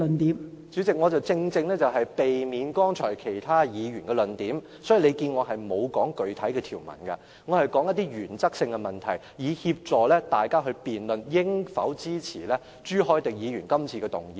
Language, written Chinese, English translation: Cantonese, 代理主席，正正為了避免提及其他議員剛才的論點，所以我並沒有提述具體條文，我說的是原則性的問題，旨在協助大家辯論應否支持朱凱廸議員今次提出的議案。, Deputy President rightly because I wish to avoid arguments already mentioned by other Members earlier I do not mention the specific provisions but talk about matters of principle trying to facilitate Members in debating whether or not the motion moved by Mr CHU Hoi - dick this time around merits support